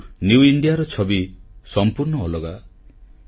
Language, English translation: Odia, But, the picture of New India is altogether different